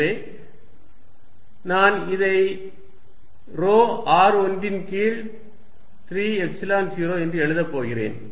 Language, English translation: Tamil, So, I am going to write this at rho r1 divided by 3 Epsilon 0